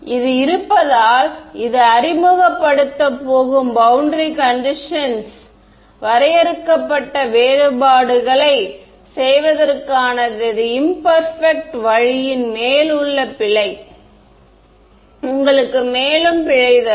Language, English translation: Tamil, As it is this is the boundary condition going to introduce the error then on top of my imperfect way of doing finite differences will give you further error